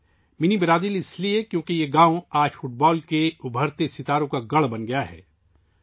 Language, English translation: Urdu, 'Mini Brazil', since, today this village has become a stronghold of the rising stars of football